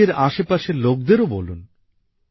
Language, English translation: Bengali, Inform those around you too